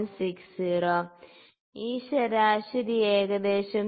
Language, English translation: Malayalam, 60, this average comes down to about 3